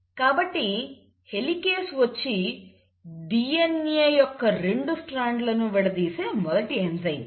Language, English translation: Telugu, So the helicase is the first enzyme which comes in and it causes the unwinding of the 2 DNA strands